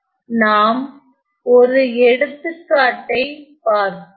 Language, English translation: Tamil, Moving on let us look at one more example